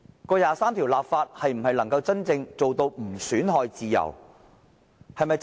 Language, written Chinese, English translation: Cantonese, 就第二十三條的立法能否真正做到不損害自由？, Can the legislation on Article 23 of the Basic Law really assure integrity of our freedoms?